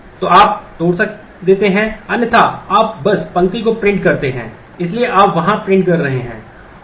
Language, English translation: Hindi, So, you break otherwise you simply print the row, so you are printing there